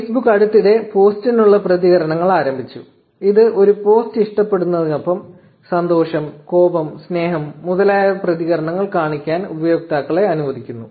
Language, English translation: Malayalam, Now, Facebook recently launched reactions for post, which allows users to show reactions like happiness, anger, love, etcetera, in addition to liking a post